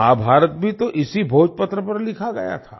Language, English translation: Hindi, Mahabharata was also written on the Bhojpatra